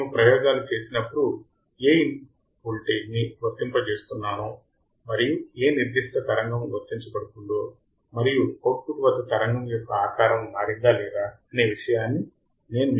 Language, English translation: Telugu, When we perform the experiments, I will show you how you are applying the input voltage and which particular signal is applied and what is the signal at the output and whether the shape has changed or not